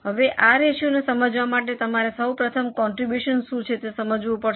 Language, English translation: Gujarati, Now, to understand this ratio, first of all you have to understand what is contribution